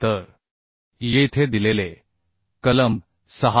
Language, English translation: Marathi, 2 it is given clause 6